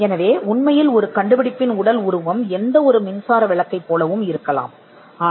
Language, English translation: Tamil, So, you see that an invention in reality the physical embodiment may look like any electric bulb